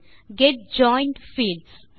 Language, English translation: Tamil, Get joined fields